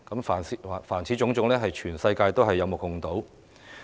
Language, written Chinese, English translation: Cantonese, 凡此種種，是全世界有目共睹的。, All of these are witnessed by the whole world